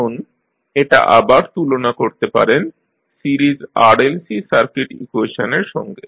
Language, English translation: Bengali, Now, you will compare this again with the series RLC circuit equation